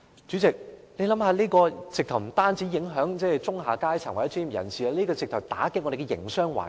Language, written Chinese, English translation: Cantonese, 這種情況不但影響中下階層或專業人士，甚至會打擊我們的營商環境。, It not only affects the middle and lower classes or professionals but also our business environment